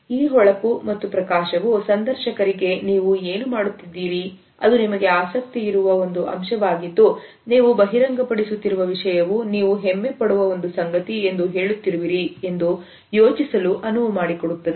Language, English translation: Kannada, This shine and a sparkle allows the interviewer to think that what you are talking about is actually an aspect in which you are interested and at the same time you are revealing and information of which you are proud